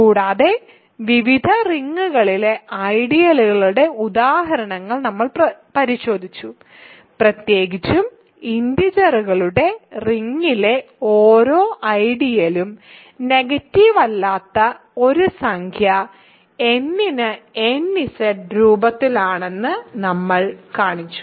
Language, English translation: Malayalam, And, we looked at examples of ideals in various rings and in particular we showed that every ideal in the ring of integers is of the form nZ for a non negative integer n